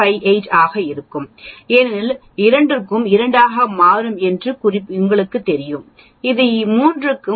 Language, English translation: Tamil, 58 because for 2 sigma as you know it will become 2 this is 0